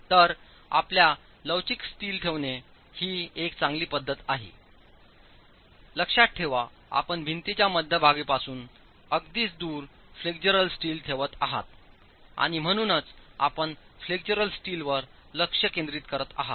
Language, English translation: Marathi, Mind you, you are placing a flexual steel farthest away from the center line of the wall itself and therefore you're concentrating the flexual steel